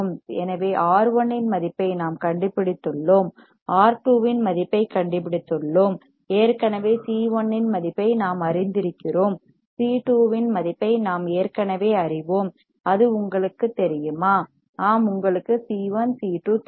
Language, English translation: Tamil, So, we have found the value of R 1 we have found the value of R 2, we have already known value of C 1, we already know value of C 2 do you know it yes you know it C 1 C 2